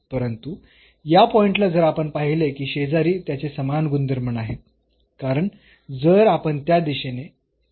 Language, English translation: Marathi, But at this point if we see that in the neighborhood it is not showing the same behavior because if we go in the direction of y